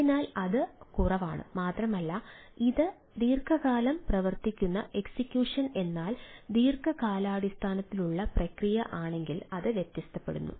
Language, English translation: Malayalam, so that is not only the less, it also varies on if it is a long running execute executive means long running process then it may vary over time